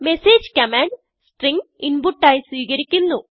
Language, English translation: Malayalam, message command takes string as input